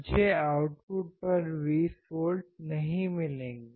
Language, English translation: Hindi, I will not get 20 volts out at the output